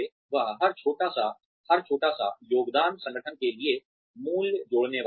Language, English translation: Hindi, That, every little bit, every little contribution, is going to add value to the organization